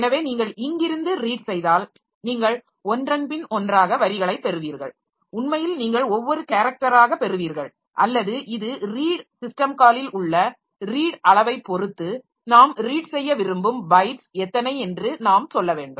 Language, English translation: Tamil, Actually you will be getting word the character by character or this depending on the size of that read the in the read system call we have to tell like how many bytes we want to read